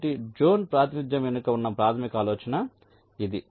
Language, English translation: Telugu, ok, so this is the basic idea behind zone representation